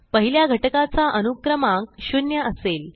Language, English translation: Marathi, The index of the first element is 0